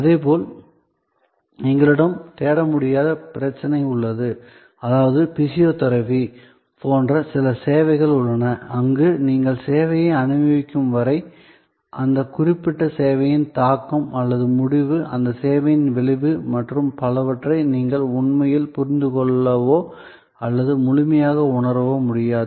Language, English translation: Tamil, Similarly, we have the problem of non searchability, which means that there are some services say like physiotherapy, where till you experience the service, you really cannot comprehend or cannot fully realize the impact of that particular service or the result, the outcome of that service and so on